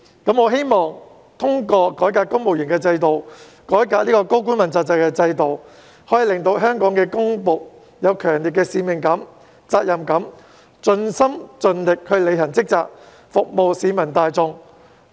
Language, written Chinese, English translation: Cantonese, 我希望通過改革公務員制度、改革問責制，可以令到香港的公僕有強烈的使命感、責任感，盡心盡力履行職責，服務市民大眾。, I hope that through reforming the civil service system and the accountability system we can instil a strong sense of mission and responsibility in the public servants of Hong Kong so that they can discharge their duty wholeheartedly and do their best to serve the public